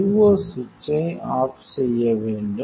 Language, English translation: Tamil, So, switch off the IO switch